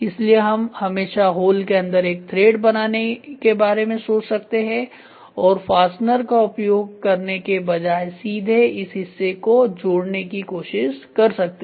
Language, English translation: Hindi, So, we can always think of making a thread inside the hole and try to fix this part with this part directly rather than using a fastener